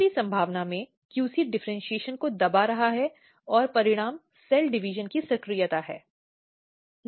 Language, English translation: Hindi, In third possibility, QC is actually repressing differentiation and result is activation of cell division